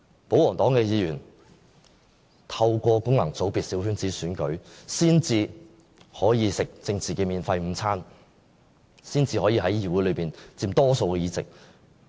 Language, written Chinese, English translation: Cantonese, 保皇黨議員透過功能界別的小圈子選舉才可以吃政治免費午餐，才可以在議會內佔大多數議席。, Only through the small circle elections in functional constituencies can the pro - Government Members enjoy their political free lunches and take a majority of seats in the Council